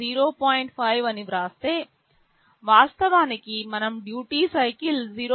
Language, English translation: Telugu, 5, this means actually we are writing the duty cycle 0